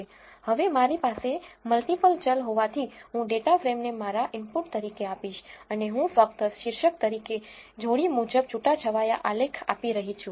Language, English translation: Gujarati, Now, since I have multiple variable I am going to give the data frame as my input and I am just giving a heading as pair wise scatter plot